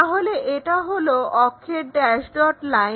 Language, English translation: Bengali, So, axis dash dot line